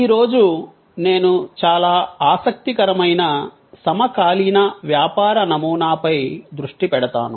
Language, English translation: Telugu, Today, I will focus on one of the quite interesting contemporary business model